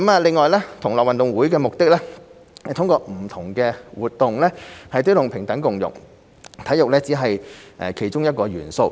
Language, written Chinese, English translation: Cantonese, 另外，同樂運動會的目的是通過不同的活動推動平等共融，體育只是其中一項元素。, Moreover the aim of GG2022 is to promote equality and inclusion through various activities . Sports is merely one of the elements of the event